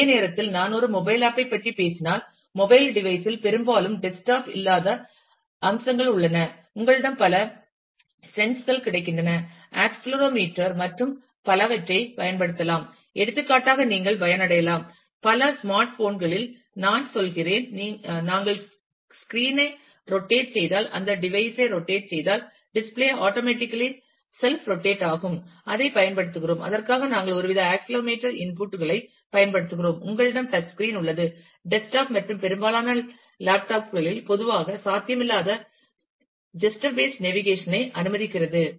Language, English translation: Tamil, And at the same time if I talk about a mobile app then, the mobile devices often have features which desktop do not have for example, you have a number of senses available like, accelerometer and so on which you can make to advantage for example, we I mean in in many smart phones, if we just rotate the screen, rotate that device, then the display self rotate automatically, which we use we use some some kind of an accelerometer inputs for that, you have a touch screen which can allow a wide range of gesture based navigation, which is typically not possible in desktop and most of the laptops